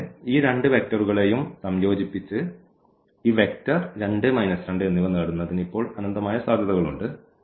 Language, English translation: Malayalam, And, and there are infinitely many possibilities now to combine these two vectors to get this vector 2 and minus 2